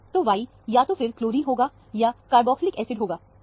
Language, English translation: Hindi, So, Y must be either a chlorine, or a carboxylic acid